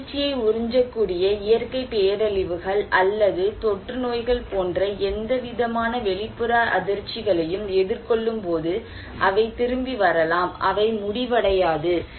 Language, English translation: Tamil, When it is resilient to face any kind of external shocks like natural disasters or epidemics that they can absorb this shock, they can bounce back, they will not finish